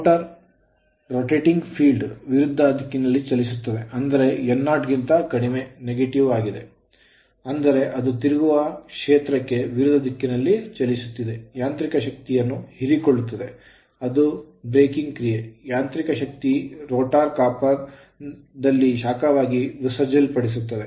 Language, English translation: Kannada, The motor runs in opposite direction to the rotating field that is less than 0, negative means is running in opposite direction to the rotating field that is n less than 0 negative means it is running in the opposite direction right absorbing mechanical power that is breaking action which is dissipated as heat in the rotor copper right only